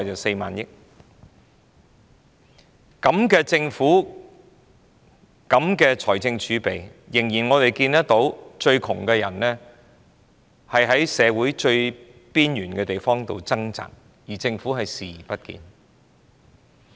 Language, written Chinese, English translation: Cantonese, 這樣的政府，這麼豐厚的財政儲備，卻仍看到最貧窮的人在社會最邊緣之處掙扎，政府卻視而不見。, With the Government sitting atop abundant fiscal reserves we can still see that people in the poorest group are struggling at the fringe of our society but the Government has turned a blind eye to their plight